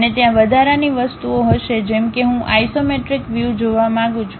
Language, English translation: Gujarati, And there will be additional things like, I would like to see isometric view